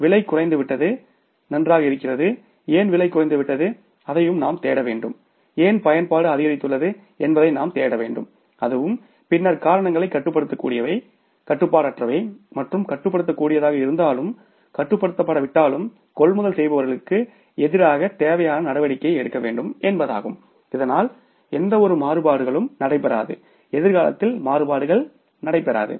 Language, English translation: Tamil, Price has come down, fine, why the price has come down, we have to look for that also and why the usage has increased we have to look for that also also and then try to find out whether the reasons are controllable uncontrollable and if were controllable but were not controlled so it means the necessary action should be taken against the purchase people so that any type of the variance do not take place, variances do not take place in future